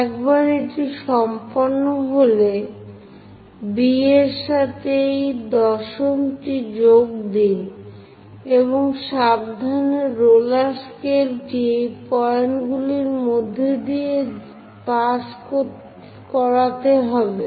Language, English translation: Bengali, Once it is done, join these 10th one with B and move our roller scale to carefully pass through these points